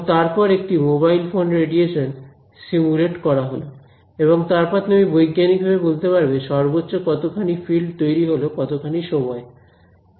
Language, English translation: Bengali, And then simulate a mobile phone radiation and then you can see: what is the maximum field generated can